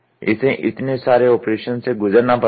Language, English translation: Hindi, It has to undergo so many sequence of operations